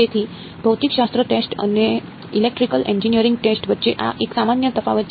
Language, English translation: Gujarati, So, this is a common difference between physics text and electrical engineering text